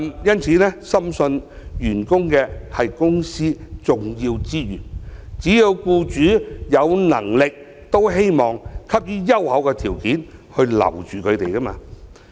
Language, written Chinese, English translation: Cantonese, 因此，我深信員工是公司重要資源，只要僱主有能力也希望給予優厚條件來留下員工。, As employees are the important resources of a company I do believe employers will be willing to offer attractive employment terms to retain their staff as long as they can afford